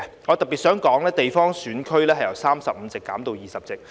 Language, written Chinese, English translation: Cantonese, 我特別想說，地方選區由35席，減至20席。, In particular I would like to say that the number of geographical constituency seats will be reduced from 35 to 20